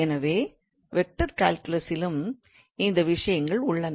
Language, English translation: Tamil, So what do we mean by vector functions